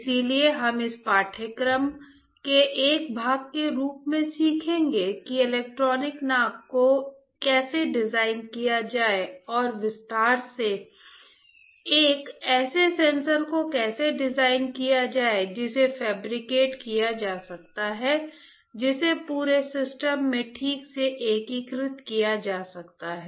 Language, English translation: Hindi, So, we will be be learning as a part of this course how to design electronic nose and in detail how to design a sensors that can be fabricates that can be integrated to the entire system alright